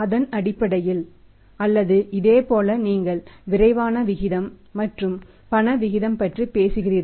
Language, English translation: Tamil, On the basis of that possibly or similarly you talk about the quick ratio and the cash ratio